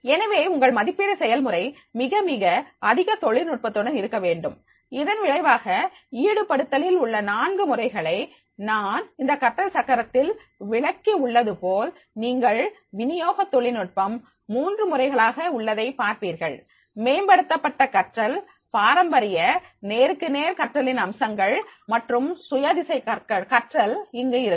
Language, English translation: Tamil, So, your assessment process is to be very, very much technical as a result of which with these four modes of the engagement as I described in this learning wheel, there you will find that is the there will be three modes of delivery technology enhance learning, based features of traditional face to face learning and the self directed learning will be there